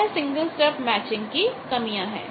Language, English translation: Hindi, So, that is the drawbacks of single stub matching